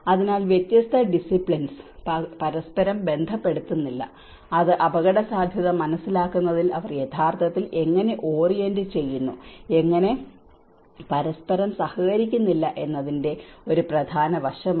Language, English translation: Malayalam, So, different disciplines do not correlate with each other that is one important aspect of how they actually orient themselves in understanding the risk and how they do not collaborate with each other